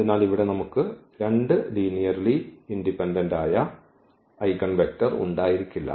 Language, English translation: Malayalam, So, here we cannot have two linearly independent eigenvector